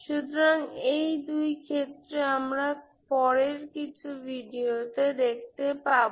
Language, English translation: Bengali, So these two cases we will see in the next few videos